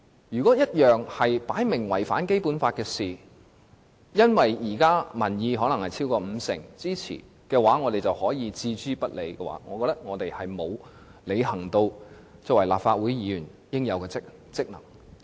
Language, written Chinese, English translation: Cantonese, 如果一件事明顯違反《基本法》，卻因為現時可能有超過五成民意支持，我們就置諸不理，那麼我們並沒有履行立法會議員應有的職能。, If we turn a blind eye to something that obviously violates the Basic Law but is probably supported by more than half of public opinion then we will fail to discharge the due functions of Legislative Council Members